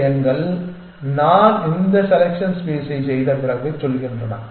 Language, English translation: Tamil, These numbers are saying that after I have done this selection space